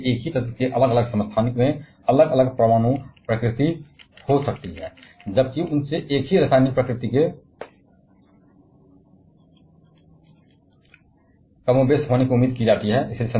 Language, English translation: Hindi, And therefore, different isotopes of the same element may have different nuclear nature, while they are expected to have more or less the same chemical nature